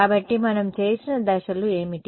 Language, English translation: Telugu, So, what are the steps that we did